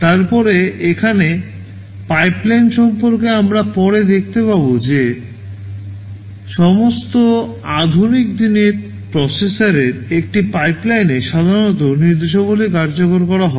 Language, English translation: Bengali, Then with respect to the pipeline here we shall see later that instructions are typically executed in a pipeline in all modern day processors